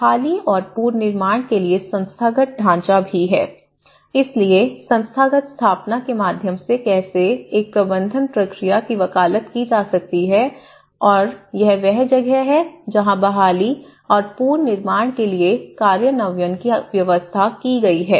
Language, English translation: Hindi, There is also the Institutional Framework for Recovery and Reconstruction, so how the institutional set up and how it can actually be advocated through a management process and this is where the implementation arrangements for Recovery and Reconstruction